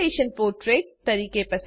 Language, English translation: Gujarati, Choose Orientation as Portrait